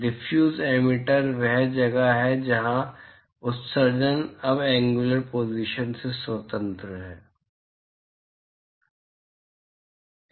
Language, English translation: Hindi, Diffuse emitter is where the emission is now independent of the angular position